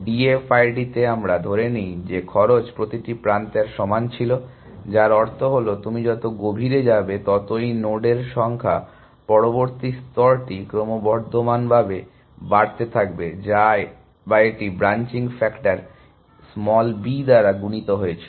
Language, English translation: Bengali, In D F I D we assume that the cost was uniform of each edge which meant that, as you get went deeper, the number of nodes in the next layer was increasing exponentially or it was multiplied by the branching factor